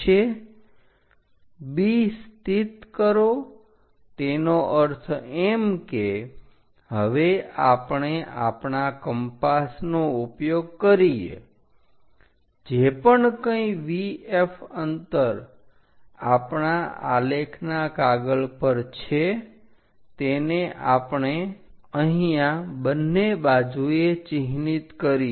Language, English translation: Gujarati, Whatever the VF distance here locate B that means, now use our compass whatever VF distance on our graph sheet, we mark it here on both sides join these points